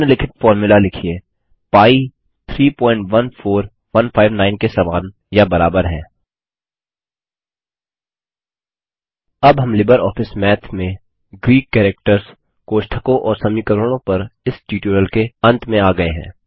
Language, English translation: Hindi, Write the following formula: pi is similar or equal to 3.14159 This brings us to the end of this tutorial on Greek Characters, Brackets and Equations in LibreOffice Math